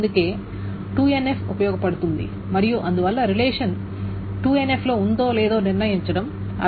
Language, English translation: Telugu, So that is why 2NF is useful and that is why it makes sense to determine whether a relationship is in 2NF or not